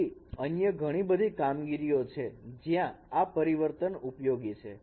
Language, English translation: Gujarati, Many other operations where these transforms are useful